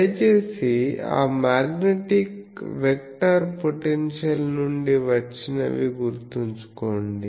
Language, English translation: Telugu, Please remember those A is come from that magnetic vector potential